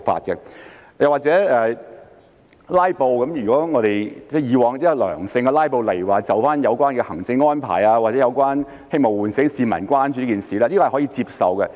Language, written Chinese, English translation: Cantonese, 又例如"拉布"方面，如果以往是良性的"拉布"，例如就有關的行政安排或希望喚醒市民關注這件事，這是可以接受的。, Take filibustering as another example it would be acceptable if the filibuster is of a positive nature as in the past for example it is staged in view of the relevant administrative arrangements or in the hope of arousing public attention to the matter